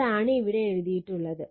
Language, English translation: Malayalam, So, that is what is written in right